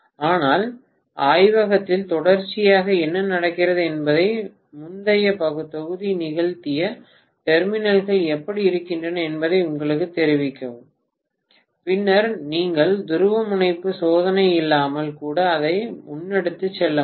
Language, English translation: Tamil, But in the laboratory what happens invariably is the previous batch which has performed will tell you this is how the terminals are and then you would be able go ahead with it even without polarity testing